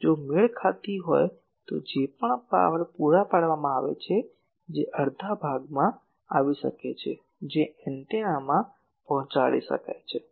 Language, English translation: Gujarati, If match Then the whatever power is supplied V s the P s that can come to the half of that can be delivered to the antenna